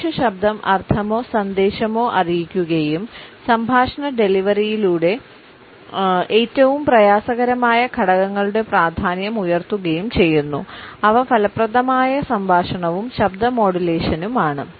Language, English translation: Malayalam, Human voice conveys the meaning or message and heightens the importance of the most difficult element of a speech delivery that is effective articulation and voice modulation